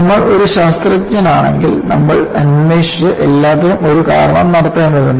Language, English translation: Malayalam, If you are a scientist, you will have to investigate and find out a reason for everything